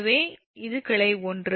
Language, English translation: Tamil, so this is branch one, this is branch one